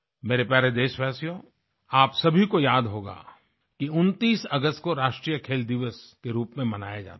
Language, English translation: Hindi, My dear countrymen, all of you will remember that the 29th of August is celebrated as 'National Sports Day'